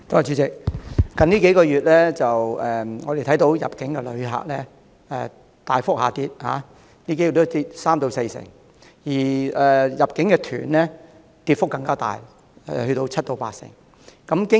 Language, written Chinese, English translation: Cantonese, 主席，近數月，我們看到入境旅客大幅下跌，人數已下跌三四成，而入境團的跌幅更大，達到七八成。, President over the past few months we have seen that the number of inbound tourists plummeted by 30 % - 40 % and the number of inbound tour groups even registered a more significant decrease by 70 % - 80 %